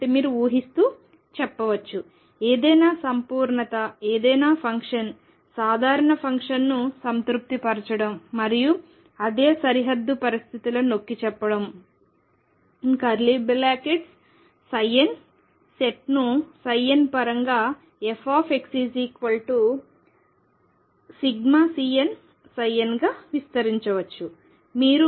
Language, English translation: Telugu, So, you can say assuming it, what it means is that any completeness any function general function satisfying the same and that is emphasize same boundary conditions as the set psi n can be expanded in terms of psi n as f x equals summation C n psi n x